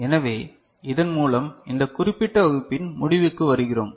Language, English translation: Tamil, So, with this we come to the conclusion of this particular class